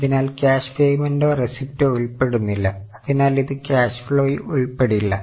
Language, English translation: Malayalam, So, no cash payment or receipt is involved so it will not be shown in the cash flow